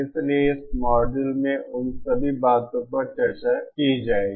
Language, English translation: Hindi, So all those things we shall discuss in this module